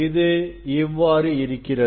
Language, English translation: Tamil, it is like this; it is like this